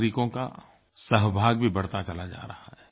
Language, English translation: Hindi, The participation of citizens is also increasing